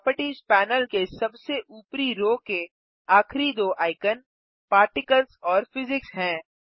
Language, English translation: Hindi, The last two icons at the top row of the Properties panel are Particles and Physics